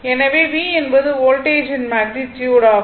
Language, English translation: Tamil, So, V is the magnitude, sorry V is the magnitude of the voltage